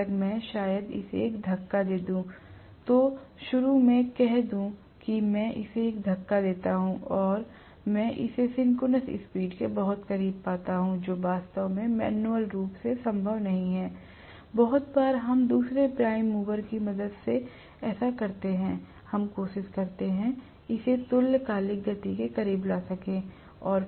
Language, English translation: Hindi, Unless, I probably give it a push, let say initially I give it a push and I get it very close to synchronous speed, which is actually not manually possible, very often we do this with the help of another prime mover, we try to get it up to speed close to synchronous speed